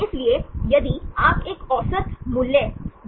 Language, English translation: Hindi, So, if you make an average value